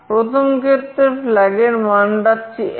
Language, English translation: Bengali, In the first case the flag is 1